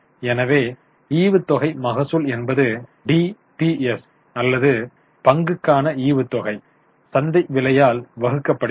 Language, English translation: Tamil, So, dividend yield refers to DPS or dividend per share divided by market price